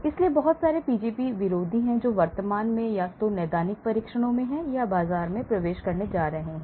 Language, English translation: Hindi, So, there are lot of Pgp antagonists that are currently in the either in clinical trials or about to enter the market